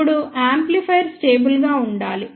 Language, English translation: Telugu, Now, amplifier has to be stable